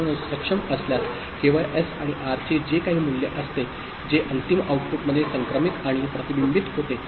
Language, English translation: Marathi, So, only when the enable is there whatever is the value of S and R that gets transmitted and reflected in the final output